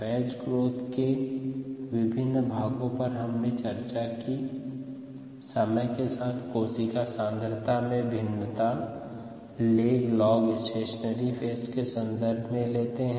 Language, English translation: Hindi, these are the various parts of the batch growth that we have seen: the variation of cell concentration with time, the lag, log and the stationary phase